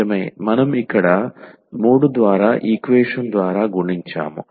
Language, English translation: Telugu, Indeed, we have multiplied by the equation this by 3 here